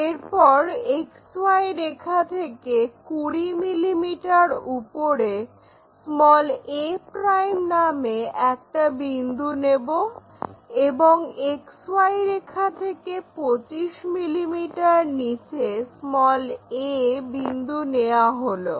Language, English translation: Bengali, On this we have to locate 10 mm above XY for a ' and 15 mm below XY line